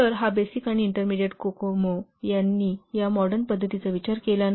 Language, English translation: Marathi, So this basic and intermediate cocoa, they do not consider these modern practices